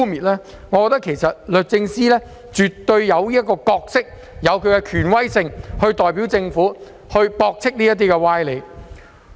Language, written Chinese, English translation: Cantonese, 律政司絕對有其角色及權威，可代表政府作出駁斥。, DoJ definitely has its role and authority to make rebuttals on behalf of the Government